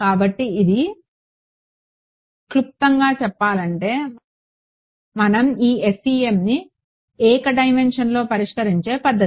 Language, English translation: Telugu, So, this in a nutshell is the method by which we solve this FEM in one dimension ok